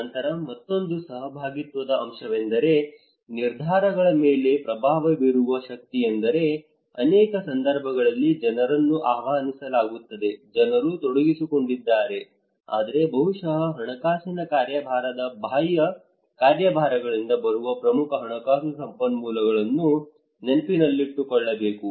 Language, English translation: Kannada, Then another participatory component is the power to influence the decisions we should remember that many cases people are invited, people are engaged, but maybe the financial agency the major financial resources that is coming from the external agencies